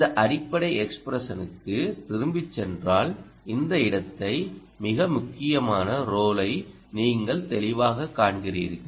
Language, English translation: Tamil, right, if you go to this basic expression, you clearly see this place, the most vital role